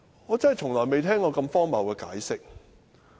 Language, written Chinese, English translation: Cantonese, 我從來未聽過如此荒謬的解釋。, I have never heard such a ridiculous explanation before